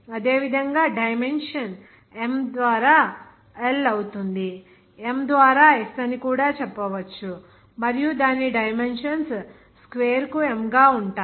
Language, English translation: Telugu, Similarly, the dimension will be m by l and the also you can say m by s and also a dimensions of that will be m by square